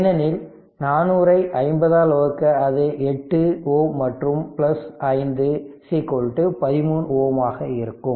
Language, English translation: Tamil, Because 400 by 50 it will be 8 ohm plus 5 is equal to 30 ohm